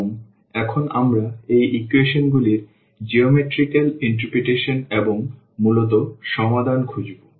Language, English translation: Bengali, And, now we look for the geometrical interpretation of these equations and the solution basically